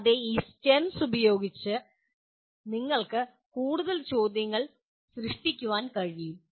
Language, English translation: Malayalam, And you can also produce more questions by using these STEMS